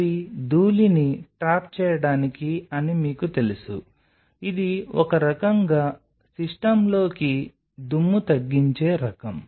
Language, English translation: Telugu, So, they are there to you know to trap the dust, it is kind of a dust reducer into the system